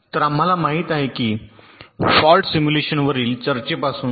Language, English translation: Marathi, so we know, start, ah with the discussion on faults simulation